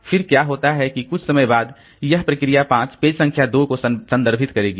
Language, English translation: Hindi, Then what happens is that immediately after some time this process 5 will refer to page number 2